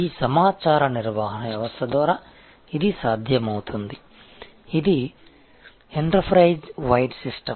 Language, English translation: Telugu, And that is possible by this information management system this is an enterprise wide system